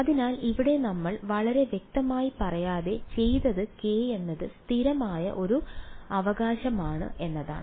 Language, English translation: Malayalam, So, here what we did without really being very explicit about is that k is a constant right